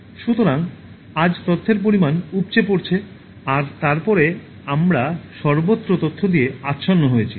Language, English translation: Bengali, So, today there is this overflow of information and then we are suffused with information everywhere